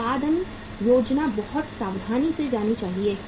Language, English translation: Hindi, Production planning should be very very carefully done